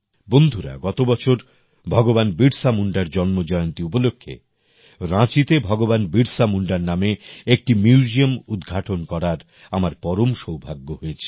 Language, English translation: Bengali, Friends, Last year on the occasion of the birth anniversary of Bhagwan Birsa Munda, I had the privilege of inaugurating the Bhagwan Birsa Munda Museum in Ranchi